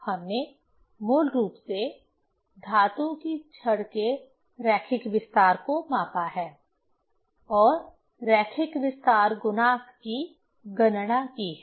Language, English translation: Hindi, We have basically measured the linear expansion of metal rod and calculated linear expansion coefficient